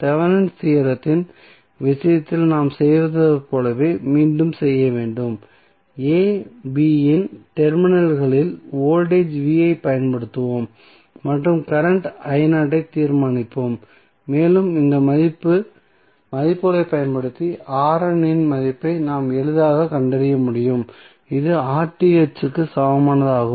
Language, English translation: Tamil, We have to again as we did in case of Thevenin's theorem here also we will apply voltage v naught at the terminals of a, b and determine the current i naught and using these value we can easily find out the value of R N which is nothing but equal to R Th